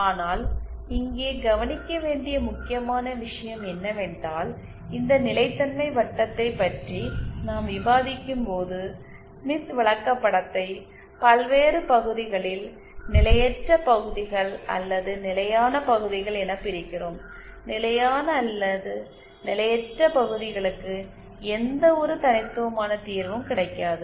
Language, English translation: Tamil, But the important thing to note here is that when we discuss about this stability circle we divide the smith chart in various region potentially unstable or stable regions and do not get any unique solution for the stable or unstable regions